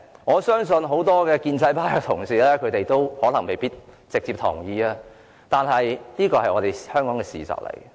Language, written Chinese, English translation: Cantonese, 我相信很多建制派同事未必直接同意這點，但這是香港的事實。, I believe many pro - establishment Members may not directly agree with this point but that is a fact about Hong Kong